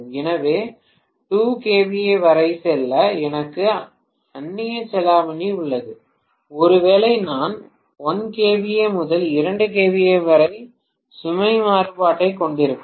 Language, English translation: Tamil, So, I have the leverage to go until 2 kVA, maybe I will have load variation right from 1 kVA to 2 kVA